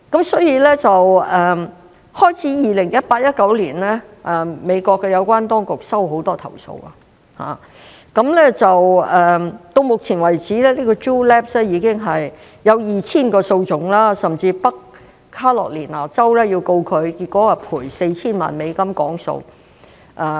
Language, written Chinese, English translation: Cantonese, 所以，美國有關當局自2018年至2019年開始接到很多投訴，直到目前為止 Juul Labs 已經有 2,000 宗訴訟，甚至北卡羅萊納州也要告它，最終賠償 4,000 萬美元和解。, For this reason the authorities in the United States received a lot of complaints between 2018 and 2019 . Juul Labs has had 2 000 lawsuits filed against it so far . Even the state of North Carolina filed a lawsuit against it but the case was eventually settled with the payment of US40 million